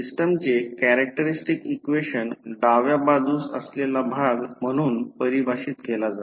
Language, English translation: Marathi, Characteristic equation of the system is defined as the left side portion